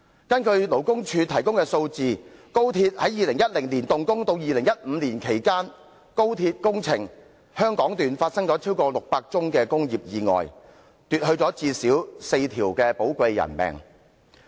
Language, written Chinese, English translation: Cantonese, 根據勞工處提供的數字，自2010年動工至2015年期間，高鐵工程香港段發生了超過600宗工業意外，奪去最少4條寶貴生命。, According to the figures provided by the Labour Department more than 600 cases industrial accidents were recorded since the commencement of the construction of the Hong Kong Section of the XRL up to 2015 claiming at least four precious human lives